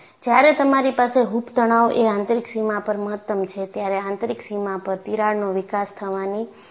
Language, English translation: Gujarati, So, when you have hoop stress is maximum at the inner boundary, there is a possibility of crack developing at the inner boundary